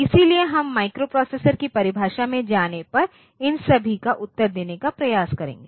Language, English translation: Hindi, So, we will try to answer all these when we go into the definition of microprocessor